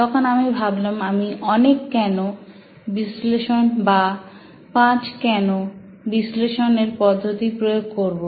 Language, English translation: Bengali, That's when I thought I would use a tool called multi Y analysis or five wise analysis